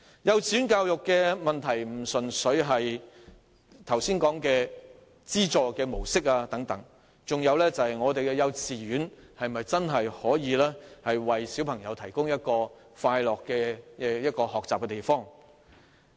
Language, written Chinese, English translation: Cantonese, 幼稚園教育問題並非純粹限於剛才所說的資助模式等事宜，還包括幼稚園能否真正為小朋友提供一個快樂學習的地方。, The problems of kindergarten education are not simply confined to matters like the mode of subvention mentioned just now . They also include the question of whether kindergartens can genuinely provide children with a happy learning place